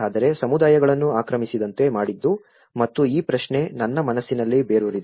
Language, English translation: Kannada, But what made the communities not to occupy and this question have rooted in my mind